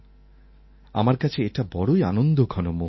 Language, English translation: Bengali, It is going to be a joyous moment for me